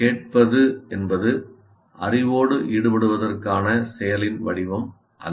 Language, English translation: Tamil, That means it is not, listening is not an active form of engaging with the knowledge